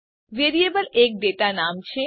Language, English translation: Gujarati, Variable is a data name